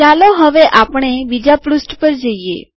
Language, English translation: Gujarati, Let us go to the second page